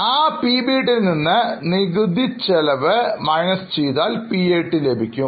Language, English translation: Malayalam, From PBT or profit before tax, you deduct taxes to get PAT